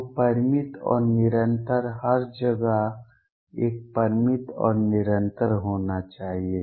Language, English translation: Hindi, So, finite and continuous; should also a finite and continuous everywhere